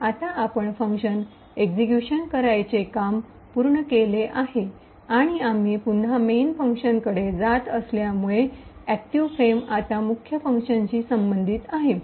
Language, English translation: Marathi, So now we have completed executing execution of that particular function and since we have moved back to the main function, so the active frame now is corresponding to that for the main function